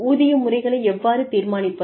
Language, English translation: Tamil, How do we determine pay systems